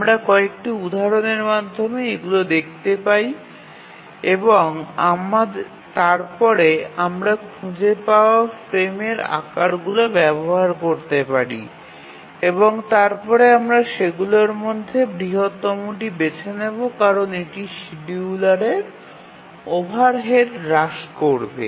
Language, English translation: Bengali, We will see through some examples and then we find the frame sizes which can be used and then we choose the largest of those because that will minimize the overhead due to the scheduler